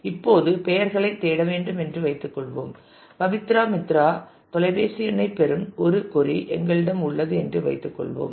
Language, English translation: Tamil, Now, let us say let us assume that we have to search on names suppose we have a query that get me the phone number of Pabitra Mitra